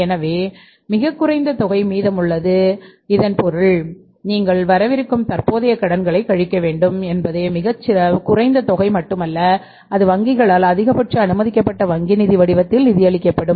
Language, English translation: Tamil, It means after that you have to subtract the current liabilities and only very small amount is left which will be funded by the banks in the form of maximum permissible bank finance